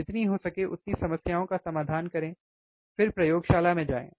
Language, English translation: Hindi, Solve as many problems as you can, then go to the laboratory